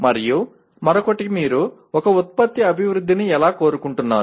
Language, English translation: Telugu, And the other one is how do you want to phase the development of a product